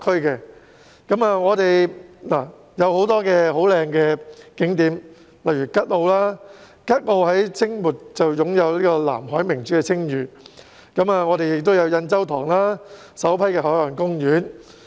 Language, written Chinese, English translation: Cantonese, 附近有很多美麗的景點，例如吉澳，吉澳在清末擁有"南海明珠"的稱譽，還有印洲塘，是本港首批海岸公園。, There are many beautiful spots nearby eg . Kat O hailed as the Pearl of the South China Sea in the late Qing Dynasty and Yan Chau Tong one of Hong Kongs first marine parks